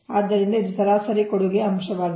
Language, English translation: Kannada, so this is average contribution factor, right